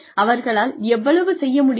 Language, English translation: Tamil, How much they can do